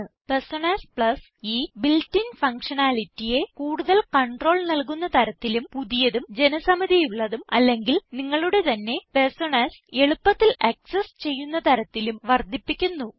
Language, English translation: Malayalam, # Personas Plus extends this built in functionality # to give greater control # easier access to new, popular, and even your own favorite Personas